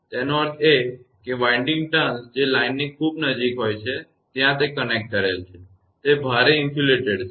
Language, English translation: Gujarati, That means, winding turns which are very closer to the line; where it is connected right is heavily insulated